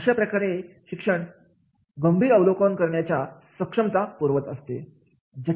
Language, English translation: Marathi, So, therefore an education provides the capability to make the critical evaluation